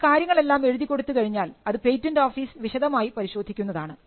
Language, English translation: Malayalam, If you put everything in writing, there is a scrutiny that is done by the patent office